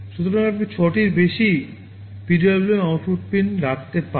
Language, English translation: Bengali, So, you can have more than 6 PWM output pins also